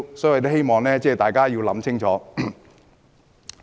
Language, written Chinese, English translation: Cantonese, 所以，我希望大家想清楚。, For that reason I hope Members will think twice